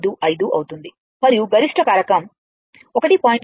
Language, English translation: Telugu, 155 and peak factor will be 1